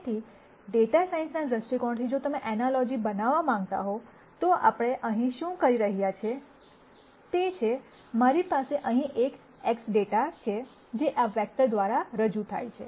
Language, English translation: Gujarati, So, from the data science viewpoint if you want to make an analogy, what we are saying here is that, I have a data here X which is represented by this vector